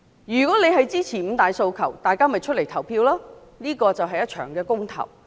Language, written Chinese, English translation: Cantonese, 如果選民支持五大訴求，便要出來投票，這是一場公投。, If voters support the five demands they should vote in the Election which is a referendum